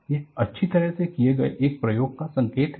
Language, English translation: Hindi, This is an indication of an experiment well performed